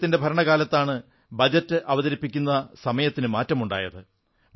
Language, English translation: Malayalam, It was during his tenure that the timing of presenting the budget was changed